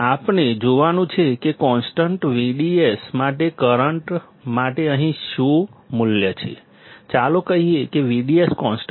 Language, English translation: Gujarati, That what is the value here for current for V D S constant, let us say V D S is constant